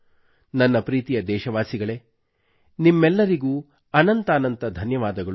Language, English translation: Kannada, My dear countrymen, many thanks to you all